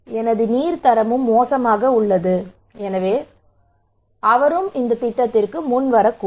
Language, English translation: Tamil, That okay, my water quality is also bad so he may come forward